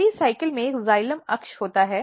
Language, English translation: Hindi, In pericycle there is a xylem axis